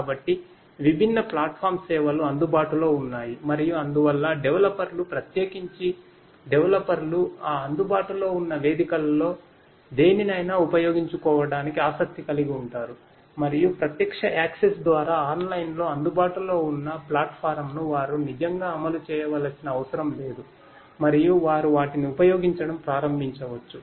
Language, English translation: Telugu, So, there are different platform services are available and so people could you know the developers, particularly developers they could be interested in using any of those available platforms and they do not really have to deploy that platform everything is available online through online access and they could start using them